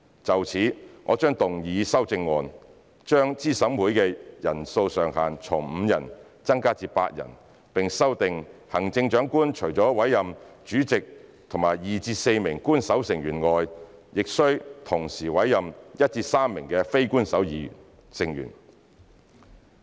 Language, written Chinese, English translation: Cantonese, 就此，我將動議修正案，將資審會的人數上限從5人增加至8人，並修訂行政長官除了委任主席及2至4名官守成員外，須同時委任1至3名非官守成員。, In this regard I will move an amendment to increase the upper limit of members in CERC from five to eight and stipulate that the Chief Executive shall in addition to the chairperson and two to four official members appoint one to three non - official members